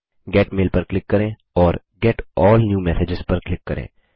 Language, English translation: Hindi, Click Get Mail and click on Get All New Messages